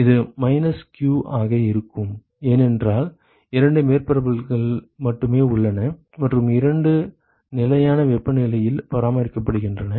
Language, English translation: Tamil, It will be minus q right because, it is just there are just two surfaces and both are maintained at constant temperature